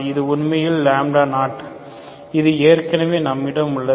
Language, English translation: Tamil, So this is actually lambda 0 which you already have here, okay